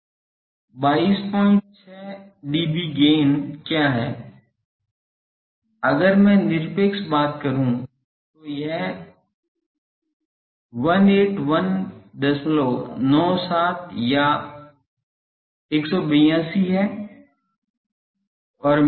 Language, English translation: Hindi, 6 dB, that if I put to absolute thing it is 181